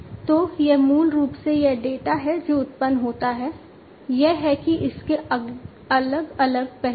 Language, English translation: Hindi, So, it is basically this data that is generated, it is it has different facets